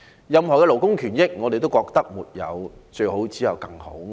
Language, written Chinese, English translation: Cantonese, 任何的勞工權益，我們都覺得是"沒有最好，只有更好"。, In respect of labour rights and interests I think there is no best only better